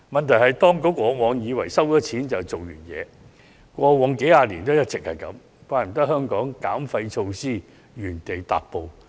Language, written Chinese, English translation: Cantonese, 問題是，當局過往數十年來一直以為徵費便可解決問題，難怪香港減廢措施原地踏步。, The issue is that over the past few decades the Administration has all along believed that the problem could not be solved by implementing a levy . It is no wonder that Hong Kong is making no headway in waste reduction measures